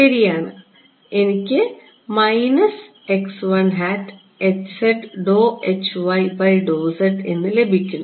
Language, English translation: Malayalam, Right so, it will become what